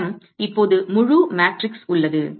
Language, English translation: Tamil, I have an entire matrix now